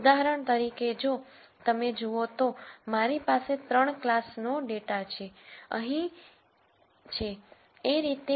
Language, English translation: Gujarati, For example, if you take let us say, I have data from 3 classes like this here